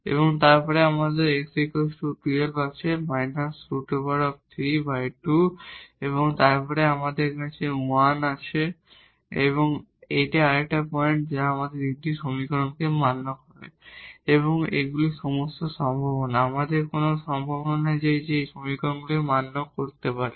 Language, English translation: Bengali, And then we have x 1 by 2 we have minus 3 by 2 and then we have 1 again here, this is another point which satisfies all these 3 equations and these are all possibilities; we do not have any more possibilities which can satisfy all these equations